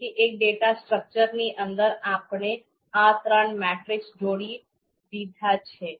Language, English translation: Gujarati, So within one you know data structure, we have combined these three you know matrices